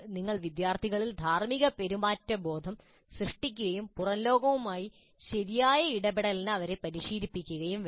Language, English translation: Malayalam, You must create that sense of ethical behavior in the students and train them in proper interaction with the outside world